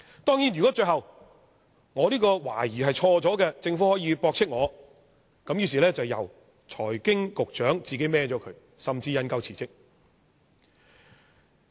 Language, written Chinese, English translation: Cantonese, 當然，如果最後我這個懷疑是錯的，政府可以駁斥我——那麼便由財經事務及庫務局局長承擔，甚至引咎辭職。, Certainly if my suspicion turns out to be wrong the Government may refute it . By then the Secretary for Financial Services and the Treasury will be held accountable and he may have to take the blame and resign